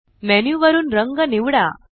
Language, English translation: Marathi, Choose a colour from the menu